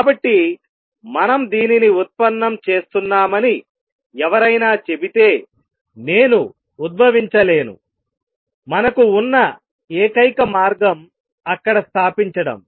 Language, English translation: Telugu, So, anybody who says that we are deriving this is I cannot be derived, the only way to establish there